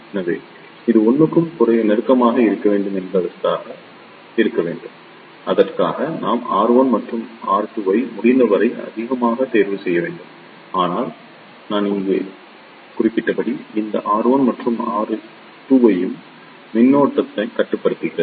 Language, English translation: Tamil, So, our purpose should be that this should be S close to 1 and for that we should choose R 1 and R 2 as high as possible, but as I mentioned here, this R 1 and R 2 also limits the current